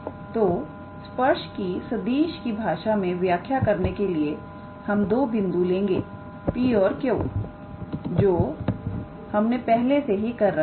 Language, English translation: Hindi, So, to define the tangent in terms of vector we take two points P and Q which we have already done